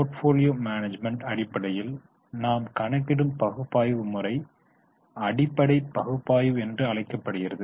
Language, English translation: Tamil, The type of analysis which we are doing in portfolio management parlance, this is known as fundamental analysis